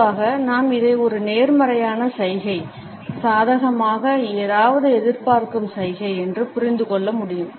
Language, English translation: Tamil, Normally we can understand it as a positive gesture, a gesture of expecting something positively